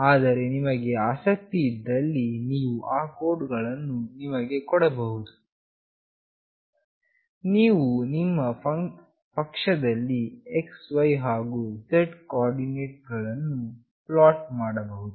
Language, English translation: Kannada, But if you are interested, we can share those codes with you, you can try out at your end by plotting the x, y, and z coordinates